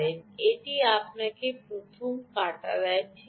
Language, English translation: Bengali, it gives you the first cut right